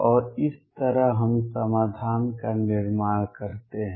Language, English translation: Hindi, And that is how we build the solution